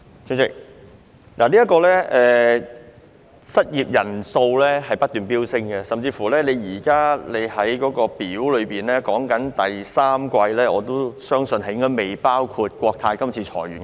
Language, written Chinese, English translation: Cantonese, 主席，失業人數不斷飆升，我相信主體答覆列表所示的第三季數字可能尚未計入國泰航空今次的裁員人數。, President the number of unemployed persons is escalating and I do not think the figures of the third quarter as shown in the tables attached to the main reply has included the employees laid off by Cathay Pacific lately